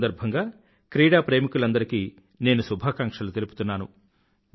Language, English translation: Telugu, I felicitate all the teachers in the country on this occasion